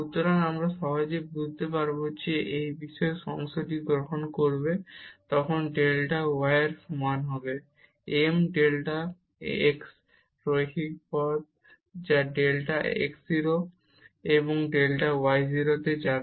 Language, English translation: Bengali, So, we will easily realize that, when we take this special part delta y is equal to m delta x the linear path to go to delta x 0 delta y 0